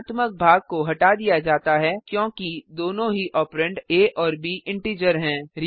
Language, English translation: Hindi, The fractional part has been truncated as both the operands a and b are integers